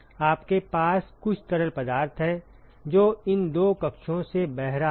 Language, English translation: Hindi, You have some fluid which is flowing through these two chambers